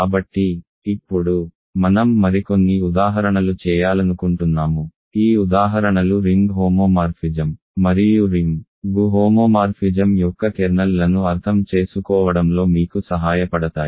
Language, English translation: Telugu, So, now, I want to do some more examples, these examples also are suppose to help you with understanding ring homomorphism and kernels of ring homomorphism ok